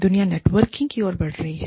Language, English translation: Hindi, The world is moving towards, networking